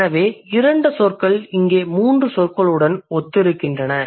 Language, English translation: Tamil, So two words over there, they correspond to three words over here